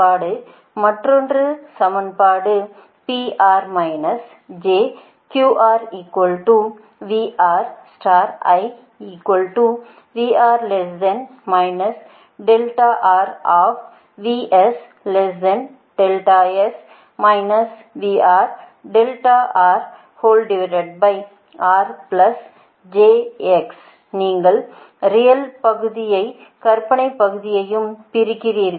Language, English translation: Tamil, now, question is: in this equation you will separate real part, an imaginary part